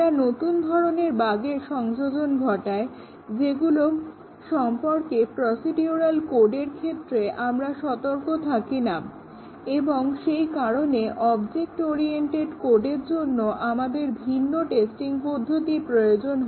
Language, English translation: Bengali, They introduced new types of bug which you were not aware in procedural code and therefore, we need different testing for object oriented code